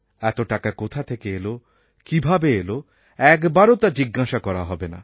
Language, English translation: Bengali, Not once will it be asked as to from where all this wealth came and how it was acquired